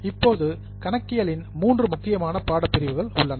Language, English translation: Tamil, Now, there are three important streams of accounting